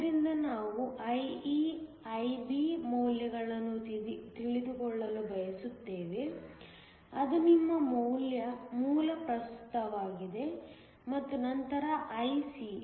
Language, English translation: Kannada, So, we want to know the values of IE, IB which is your base current, and then IC